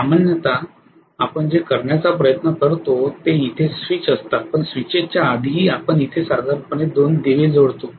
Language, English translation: Marathi, Normally what we try to do is there are ofcourse the switches here but even before the switches we will normally connect 2 lamps here